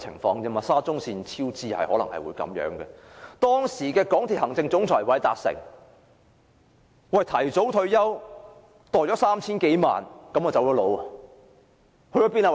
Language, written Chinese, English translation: Cantonese, 當時香港鐵路有限公司行政總裁韋達誠提早退休，收取了 3,000 多萬元後便離職。, Meanwhile Jay WALDER former Chief Executive Officer of MTRCL opted for early retirement leaving office after receiving more than 30 million